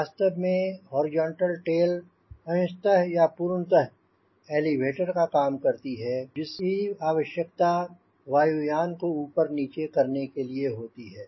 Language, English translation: Hindi, in fact, part of the horizontal tail or whole horizontal tail could be an elevator which is required to pitch the aircraft up and down